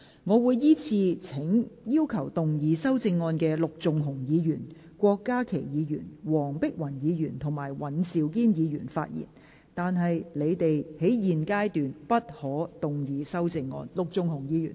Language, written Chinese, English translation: Cantonese, 我會依次請要動議修正案的陸頌雄議員、郭家麒議員、黃碧雲議員及尹兆堅議員發言，但他們在現階段不可動議修正案。, I will call upon Members who will move the amendments to speak in the following order Mr LUK Chung - hung Dr KWOK Ka - ki Dr Helena WONG and Mr Andrew WAN but they may not move amendments at this stage